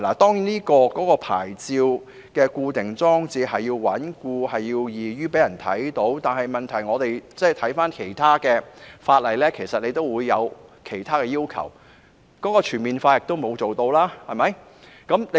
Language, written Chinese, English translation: Cantonese, 當然，牌照的裝設需要穩固和易於讓人看到，但問題是，其實其他法例也會有其他要求，而當局在這方面亦做得不全面。, Certainly plates must be fixed firmly and in an easily visible manner; however the problem is that there are actually other requirements in other legislation and the authorities have not handled the matter in a comprehensive manner